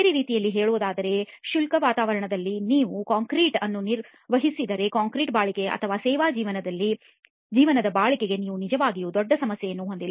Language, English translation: Kannada, In other words if you maintain concrete in a dry environment you do not really have a major problem with the durability of the concrete or service life of the concrete